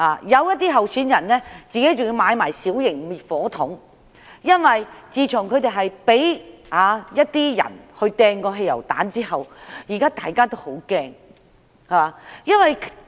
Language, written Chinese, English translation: Cantonese, 有些候選人更自行購買小型滅火器，因為他們被一些人投擲過汽油彈，感到很害怕。, Some candidates have also bought small fire extinguishers because some of them have had petrol bombs thrown at them and they are all scared